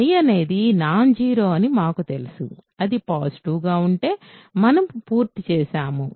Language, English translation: Telugu, We know that I contains something non zero, if it is positive we are done, suppose not